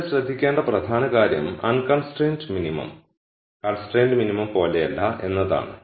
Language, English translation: Malayalam, The key point to notice here is that the unconstrained minimum is not the same as the constraint minimum